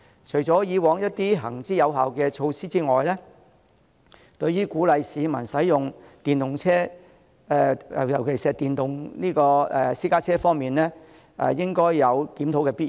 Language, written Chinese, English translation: Cantonese, 除了以往一些行之有效的措施之外，對於鼓勵市民使用電動車，尤其是電動私家車方面，應該有檢討的必要。, Apart from carrying on with the measures proven effective it should review its policy on encouraging people to use electric vehicles particularly electric private cars